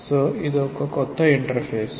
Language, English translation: Telugu, So, this is the new interface